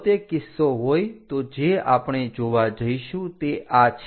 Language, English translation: Gujarati, If that is the case what we are going to see is this one